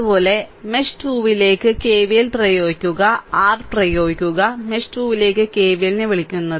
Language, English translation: Malayalam, Similarly, you apply KVL to mesh 2, right, you apply your; what you call KVL to mesh 2